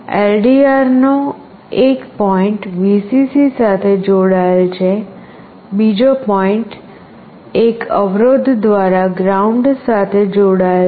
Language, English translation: Gujarati, One point of the LDR is connected to Vcc, another point through a resistance is connected to ground